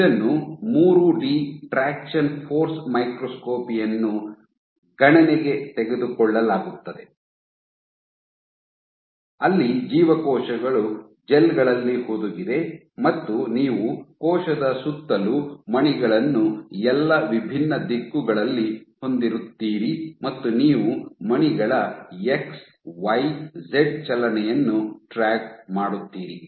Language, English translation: Kannada, So, this is what is taken into account in 3 D traction force microscopy where, cells are embedded in gels and you have beads in around the cell in all different directions and you track the X, Y, Z movement of the beads